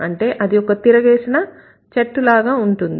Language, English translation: Telugu, So, this is like an inverted tree